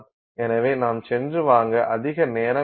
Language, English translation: Tamil, So, you can take a much longer time to go and buy